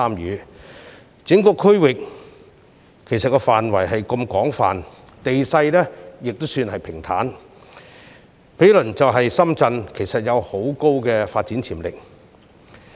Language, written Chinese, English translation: Cantonese, 由於整個區域範圍廣闊，地勢亦算平坦，兼且毗鄰深圳，該處其實有極高發展潛力。, The place does possess high development potential as it covers an extensive area has a relatively flat terrain and lies adjacent to Shenzhen